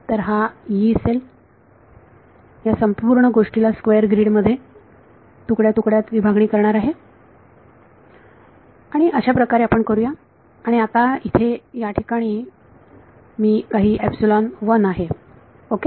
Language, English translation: Marathi, So, what a Yee cell is going to fracture this whole thing into a square grid that is how we do it and now this over here this has some epsilon 1 ok